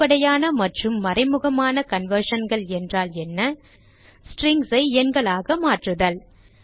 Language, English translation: Tamil, What is meant by implicit and explicit conversion and How to convert strings to numbers